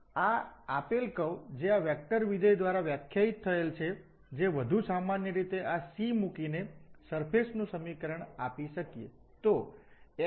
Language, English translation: Gujarati, So, this is the curve given which is defined by this vector valued function, the equation of the surface we can take as a more general putting this C